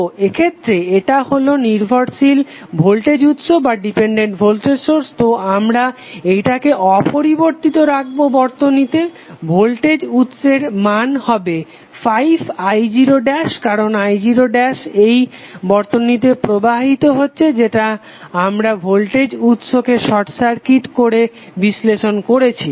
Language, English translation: Bengali, So in this case this is depended voltage source so we keep intact with the circuit, the value of the voltage source will be 5i0 dash because right now i0 dash is flowing in this particular circuit